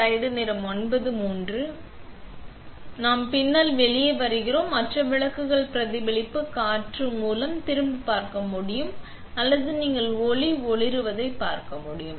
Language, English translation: Tamil, So, we come out to the back and you can see the lights turned on by the reflection air or you can see the light glowing